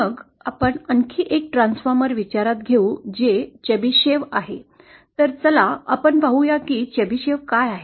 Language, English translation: Marathi, Then we will consider one more transformer which is Chebyshev, so let us see what is a Chebyshev